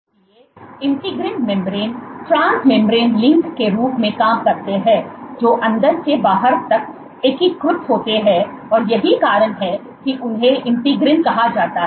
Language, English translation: Hindi, So, integrins serve as trans membrane links which integrate the inside to the outside, and that is the reason why they are called integrins